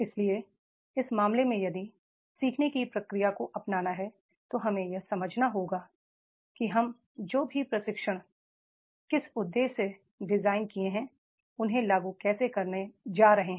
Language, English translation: Hindi, So, therefore in that case, if the process of learning has to be adopt, we have to understand how we are going to make the implementation of whatever the training objectives which we have designed